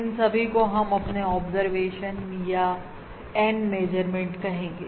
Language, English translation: Hindi, These we have called our N observations or N measurements